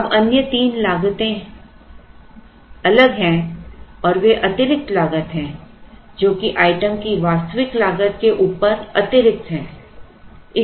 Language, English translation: Hindi, Now, the other three costs are different and they are additional costs they are over and above the actual cost of the item